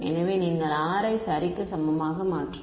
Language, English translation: Tamil, So, this term over here is equal to R square